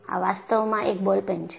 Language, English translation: Gujarati, This is actually a ball pen